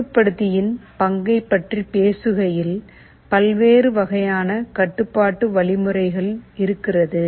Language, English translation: Tamil, Talking of the role of controller, there can be various different types of control mechanisms